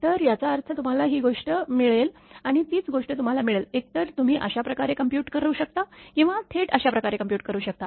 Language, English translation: Marathi, So, it means same thing you will get this is and the same thing, you will get either this way you can compute or directly you can compute this way